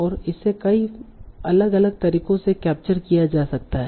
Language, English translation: Hindi, And this can be captured in many different ways